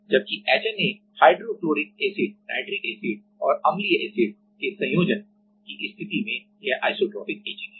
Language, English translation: Hindi, Whereas, in HNA case of hydrofluoric acid nitric acid and acidic acid combination this is isotropic etching